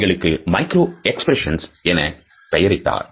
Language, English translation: Tamil, So, what are the micro expressions